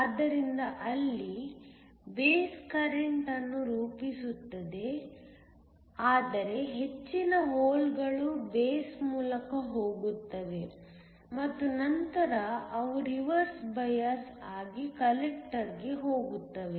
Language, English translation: Kannada, So, there form the base current, but a majority of the holes go through the base and then they go to the collector which is reverse biased